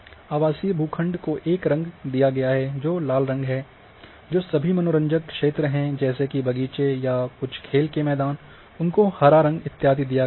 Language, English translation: Hindi, So, all residential plots have been given a colour which is a red colour, all recreational area say garden or some play grounds have been given green colour, so on so forth